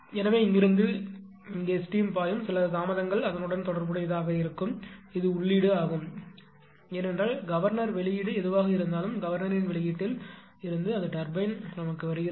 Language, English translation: Tamil, So, from from here to here when were steam is your ah flowing right, some delay will be associated with that, that is actually represent by this is input, because governor output whatever it was coming right, from the output of the governor it is coming to the turbine